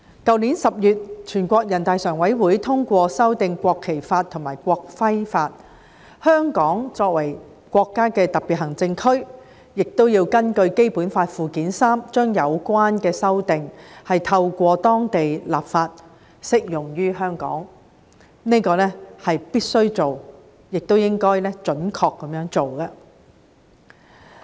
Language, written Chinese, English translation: Cantonese, 去年10月，全國人大常委會通過修訂《中華人民共和國國旗法》和《中華人民共和國國徽法》，香港作為國家的特別行政區，亦要根據《基本法》附件三，將有關的修訂透過當地立法，適用於香港，這是必須做，亦應該準確地做的。, In October last year the Standing Committee of the National Peoples Congress endorsed the amendments to the Law of the Peoples Republic of China on the National Flag and the Law of the Peoples Republic of China on the National Emblem . As a special administrative region of the country Hong Kong must and should apply precisely the relevant amendments to Hong Kong through local legislation in accordance with Annex III to the Basic Law